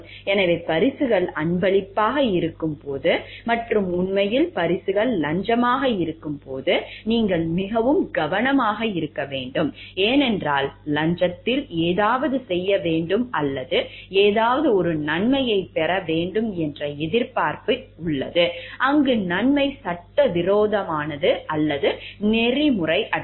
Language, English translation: Tamil, So, you have to be very careful when gifts are gifts and actually when gifts are bribes, because in bribes there is an expectation to do something or winning an advantage for something, where the advantage is either illegal or unethical